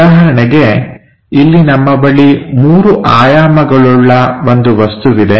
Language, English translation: Kannada, For example, here we have a three dimensional object